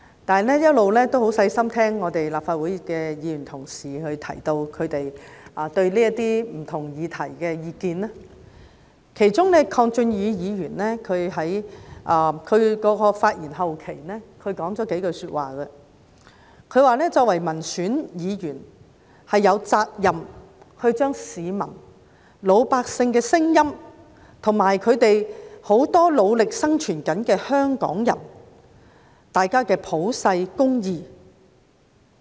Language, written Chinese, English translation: Cantonese, 我一直很留心聆聽議員在討論不同議題時發表的意見，其中鄺俊宇議員發言後期提到幾句話，他說作為民選議員，有責任說出市民、老百姓的聲音，以及很多努力生存的香港人的普世價值。, I have been listening attentively to the views of Members when discussing various subject matters . Mr KWONG Chun - yu said at the latter part of his speech that as a directly elected legislator he was obliged to reflect the voice of the citizens and the general public as well as the universal values of many Hong Kong people who were working hard to survive